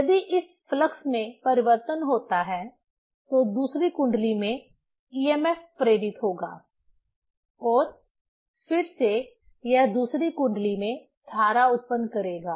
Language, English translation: Hindi, If there is a variation of this flux, then there will be induced emf in the second coil and again it will generate current in the second coil